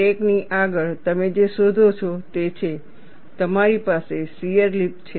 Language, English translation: Gujarati, Ahead of the crack, what you find is, you have a shear lip